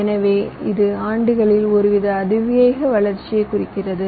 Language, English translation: Tamil, so this means some kind of an exponential growth over the years